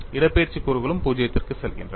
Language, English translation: Tamil, The displacement components also go to 0